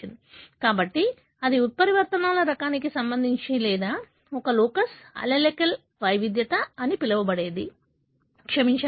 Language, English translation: Telugu, So, that is with regard to the type of mutations or what you call as locus, allelic heterogeneity, sorry